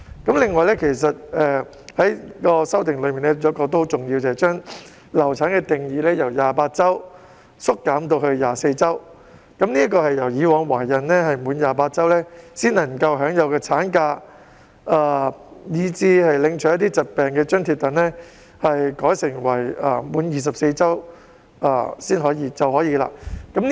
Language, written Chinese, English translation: Cantonese, 此外，其中有一項很重要的修訂，就是把"流產"定義由28周縮減至24周，即是以往懷孕滿28周才可以享有產假及領取疾病津貼，現時改為滿24周便可以領取。, Furthermore one of the very important amendments is to shorten the period of pregnancy under the definition of miscarriage from 28 weeks to 24 weeks that is female employees are only entitled to maternity leave and sickness allowance after a pregnancy period of 28 weeks at present but it will be revised to 24 weeks